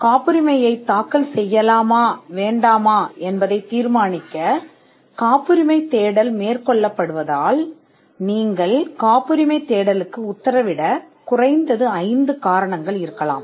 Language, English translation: Tamil, Since a patentability search is undertaken to determine whether to file a patent or not, there could be at least 5 reasons why you should order a patentability search